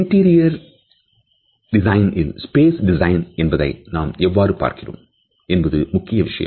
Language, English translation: Tamil, It is also equally important in the way we look at the space design of the interior